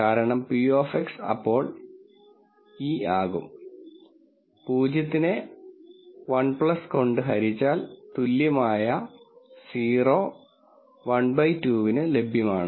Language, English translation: Malayalam, This is because p of X then equals e power 0 divided by 1 plus equal 0 which is equal to 1 by 2